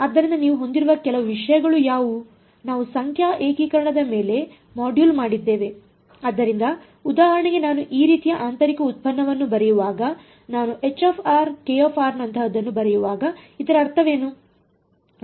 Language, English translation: Kannada, So, what are the some of the things you have we have done one module on numerical integration right so for example, when I write something like h of r comma k of r when I write the inner product like this, what does that mean